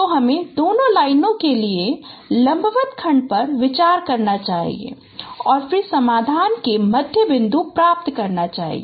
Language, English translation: Hindi, So, you should consider a perpendicular segment for both the lines and then get the midpoint